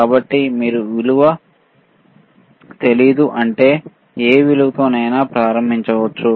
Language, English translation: Telugu, So, you can you can start at any value if you do not know the value